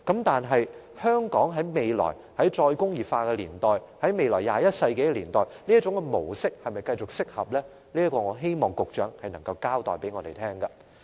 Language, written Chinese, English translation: Cantonese, 但是，在"再工業化"年代或21世紀年代，香港是否適合繼續採用這種模式，我希望局長就這一點向我們交代。, I hope the Secretary can explain to us whether it is suitable for Hong Kong to continue to adopt this approach in the era of re - industrialization or the 21 century